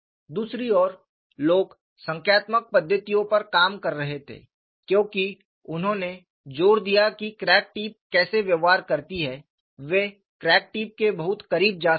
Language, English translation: Hindi, On the other hand, people were working on numerical methodologies, because they force how the crack tip to behave; they can go very close to the crack tip